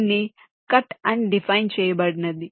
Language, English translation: Telugu, this is defined as the cut